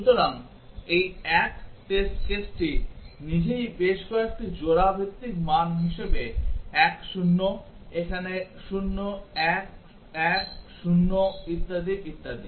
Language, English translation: Bengali, So, this 1 test case itself as several pair wise values 1 0 here 0 1 1 0 and so on